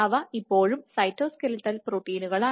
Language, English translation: Malayalam, So, they are still cytoskeletal proteins